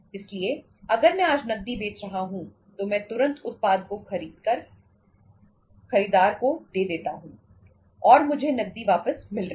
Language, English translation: Hindi, So any if I am selling on cash today immediately I am passing on the product to the buyer and I am getting the cash back